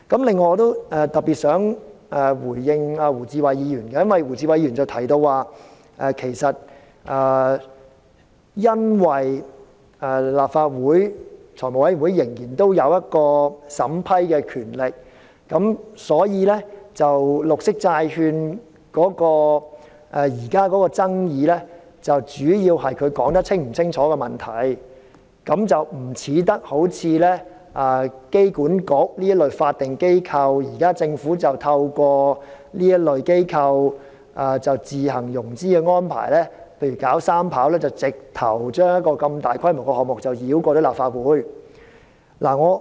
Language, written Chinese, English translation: Cantonese, 另外，我想特別回應胡志偉議員，他提到由於財務委員會仍然有審批的權力，所以現時有關綠色債券的爭議主要是內容是否解釋清楚，不像香港機場管理局這類法定機構出現的問題，即現在政府透過這類機構自行融資來興建機場三跑，直接將這個大規模的項目繞過立法會。, Besides I wish to particularly respond to Mr WU Chi - wai . He said that as the Finance Committee still has the vetting and approval power the controversies over the green bonds now mainly have to do with whether the details are clearly expounded unlike the problem concerning such statutory bodies as the Airport Authority Hong Kong AA in that through self - financing arrangements made by AA for the development of a third runway at the airport the Government has simply bypassed the Legislative Council in taking forward this large - scale project